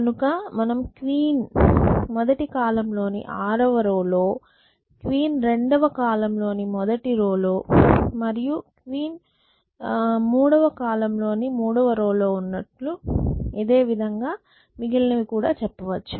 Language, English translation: Telugu, So, I am saying the first column queen is a 6 row, the second column queen is in the first row the third column queen is in a third row and so on and so forth